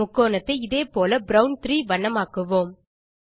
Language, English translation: Tamil, Now lets color the rectangle in brown 4 in the same way, again